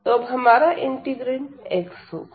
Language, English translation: Hindi, So, our integrand is going to be x now